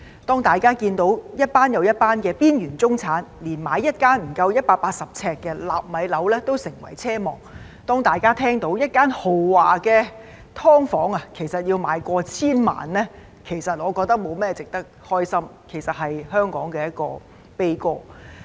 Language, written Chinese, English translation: Cantonese, 當大家看到一群又一群的邊緣中產連買一間不足180平方呎的"納米樓"都成為奢望；當大家聽到一間豪華"劏房"的售價過千萬元，我認為這沒有甚麼值得高興，而是香港的悲歌。, When we see group after group of marginalized middle - class people who consider it a wishful thinking to be able to afford a nano flat measuring no more than 180 sq ft and when we hear that a luxurious subdivided unit can cost over 10 million I think this is nothing to be happy about but a sad story of Hong Kong